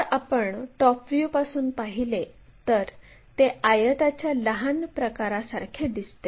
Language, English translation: Marathi, If we are looking from top view it looks like a smaller kind of rectangle